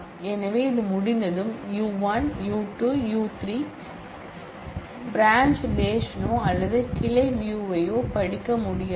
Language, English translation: Tamil, So, once this is done, then U1, U2 and U3 will not be able to read the branch relation or the branch view